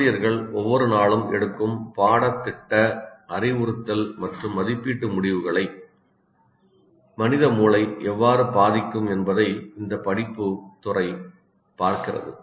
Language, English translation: Tamil, This field of inquiry looks at how we are learning about the human brain can affect the curricular, instructional and assessment decisions that teachers make every day